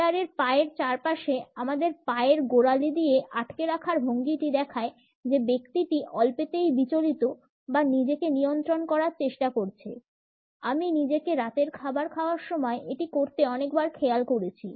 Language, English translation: Bengali, Ankles hooked around the chair legs shows the person is nervous or trying to control him or herself; I find myself doing this at dinner a lot